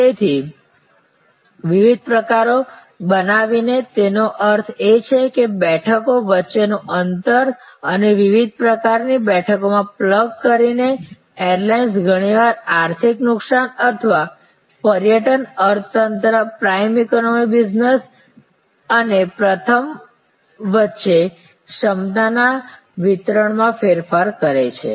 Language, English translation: Gujarati, So, by creating different pitches; that means, the distance between seats and by plugging in different kinds of seats, airlines often vary the capacity distribution among economic loss or excursion economy, prime economy business and first